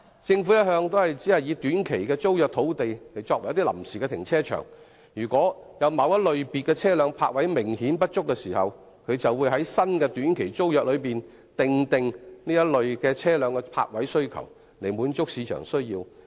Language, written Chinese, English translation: Cantonese, 政府一向只以短期租約土地作為臨時停車場，如果有某類車輛的泊車位明顯不足，便在新的短期租約訂明該類車輛的泊位需求，以滿足市場的需要。, The Government has all along allowed some sites to be used as temporary car parks under short - term tenancies . If there is an apparent shortage of parking spaces for a certain type of vehicles the Government will stipulate in the new tenancy agreement the number of parking spaces needed for that type of vehicles to meet market needs